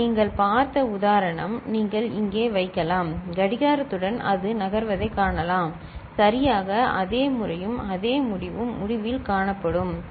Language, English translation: Tamil, The example that you had seen you can just put over here and with the clock you can see it moves from exactly the same manner and the same result will be found at the end, right